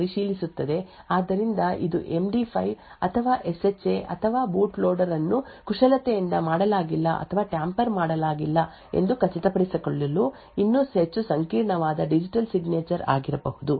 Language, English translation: Kannada, So it would do this verifying that the signature of that boot loader is correct so this could be for example an MD5 or SHA or even more complicated digital signatures to unsure that the boot loader has not been manipulated or not being tampered with